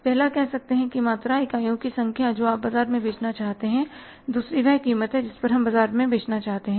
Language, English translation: Hindi, First one is the say quantity number of units we want to sell in the market and second is the price at which we want to sell in the market